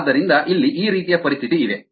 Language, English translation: Kannada, ok, so this is the situation here